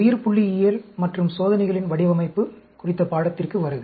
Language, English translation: Tamil, Welcome to the course on Biostatistics and Design of Experiments